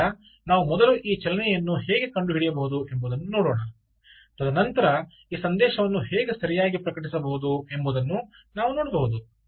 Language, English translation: Kannada, alright, so let's see how we can first of all detect this ah motion and then we can then see how this message can be published